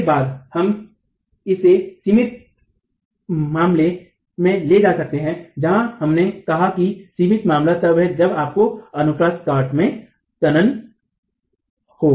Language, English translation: Hindi, From this we can then take it to the limiting case where we said that the limiting case is when you have tension cropping into the cross section